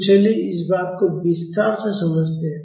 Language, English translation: Hindi, So, let us understand this in detail